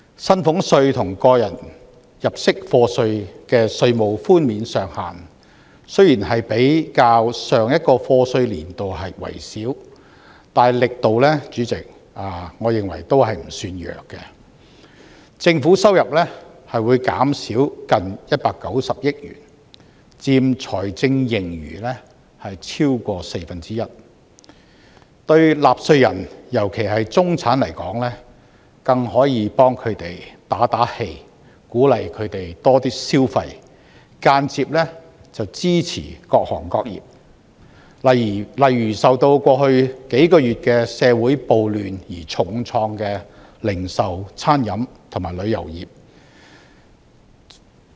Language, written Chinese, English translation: Cantonese, 薪俸稅和個人入息課稅的稅務寬免上限雖然比較上一個課稅年度為少，但主席，我認為力度不算弱，政府收入會減少近190億元，佔財政盈餘超過四分之一，對納稅人——尤其是中產來說，更可以為他們打氣，鼓勵他們多些消費，間接支持各行各業，例如受到過去數個月社會暴亂而重創的零售、餐飲和旅遊業。, The Government will receive almost 19 billion less in revenue which accounts for over a quarter of the fiscal surplus . The tax reduction will be a form of encouragement to taxpayers especially the middle - class taxpayers so as to encourage them to spend more and this will indirectly become a form of support to various sectors . For instance this is particularly meaningful to the retail catering and tourist industries which have been hard hit by the riots over the past few months